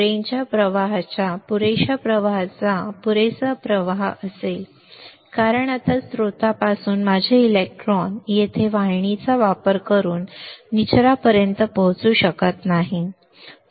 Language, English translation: Marathi, There will be sufficient flow of current sufficient flow of drain current why because now my electrons from source cannot reach to drain using the channel here